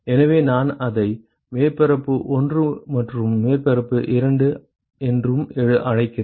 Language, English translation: Tamil, So, I call it surface 1 and surface 2 right